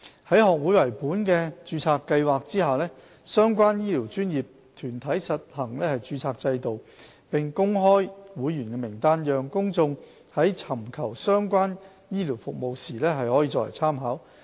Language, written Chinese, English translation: Cantonese, 在學會為本的註冊計劃下，相關醫療專業團體實行註冊制度，並公開其會員名單，讓公眾在尋求相關醫療服務時作為參考。, Under the society - based registration a health care professional body administers a registration system and promulgates a list of its members by which the public can make reference when choosing certain type of health care services